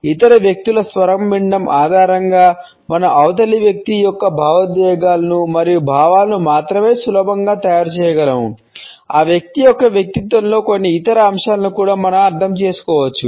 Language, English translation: Telugu, On the basis of listening to the other people’s voice, we can easily make out not only the emotions and feelings of the other person, we can also understand certain other aspects of that individual’s personality